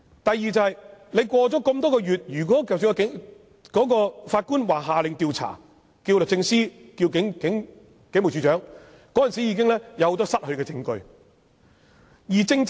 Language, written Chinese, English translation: Cantonese, 第二，事隔多月，即使法官下令要求律政司或警務處處長進行調查，很多證據已經失去。, Secondly for a case which occurred some months ago although the Court has ordered that an investigation should be conducted afresh by the Department of Justice or the Commissioner of Police much evidence should have already been lost